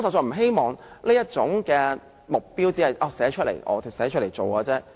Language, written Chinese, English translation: Cantonese, 我希望這目標不只是寫出來，更要實現。, I hope that this target will be realized rather than being merely borne out in letter